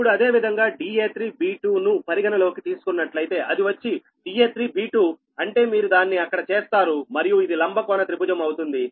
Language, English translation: Telugu, now, similarly, if you consider d a, three b two, it will be: i mean d a three b two means you make it there and this will be right angle triangle, right